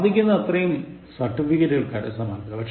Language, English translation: Malayalam, Try to accumulate as many certificates as possible